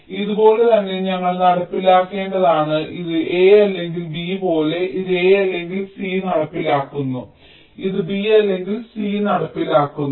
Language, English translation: Malayalam, we have to implement like this: a or b, this implements a or c, this implements b or c